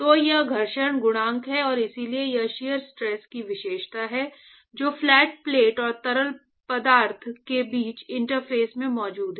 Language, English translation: Hindi, So, that is the friction coefficient and so, this characterize the shear stress which is present at the interface between the flat plate and the fluid